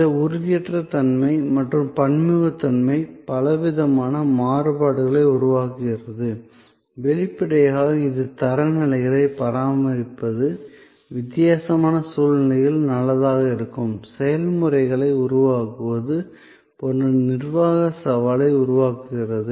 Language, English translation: Tamil, So, this intangibility and heterogeneity, which creates a plethora of variances; obviously, it creates a managerial challenge of maintaining standards, of creating processes that will hold good under difference situations